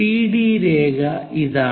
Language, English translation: Malayalam, CD line is this one